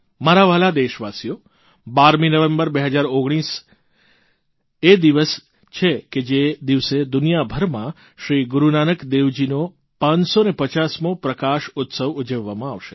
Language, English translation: Gujarati, My dear countrymen, the 12th of November, 2019 is the day when the 550th Prakashotsav of Guru Nanak dev ji will be celebrated across the world